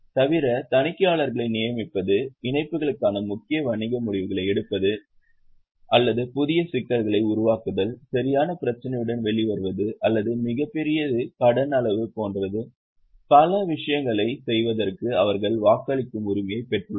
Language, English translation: Tamil, Apart from that, they have got voting right for doing several things like appointing auditors, like taking major business decisions for merger submergamation or for making fresh issue, for coming out with right issue or for for taking a very large quantum of loan